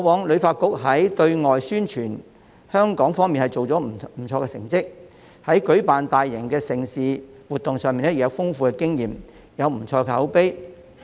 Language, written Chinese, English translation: Cantonese, 旅發局過往在對外宣傳香港方面的工作確實做到不錯的成績，在舉辦大型盛事和活動上亦有豐富經驗，口碑不錯。, It is true that HKTB has previously done a pretty good job in promoting Hong Kong overseas and is richly experienced with a fairly good reputation in organizing mega events and activities